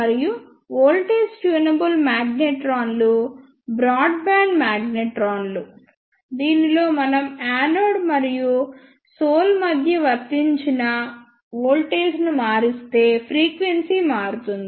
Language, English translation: Telugu, And the voltage tunable magnetrons are the broadband magnetrons in which frequency changes if we vary the applied voltage between the anode and the sole